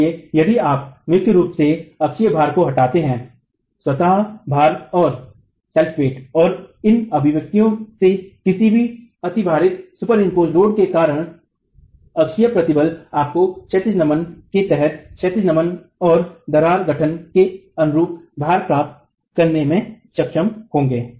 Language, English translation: Hindi, So, if you primarily remove the axial load, the axial stresses due to the self weight and any superimposed load from these expressions you should be able to get the loads corresponding to horizontal bending and crack formation under horizontal bending